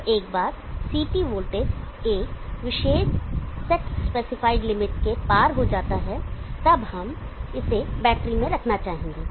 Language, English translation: Hindi, Now once the CT voltage goes high beyond a particular set specified limit and then we would like to put it into the battery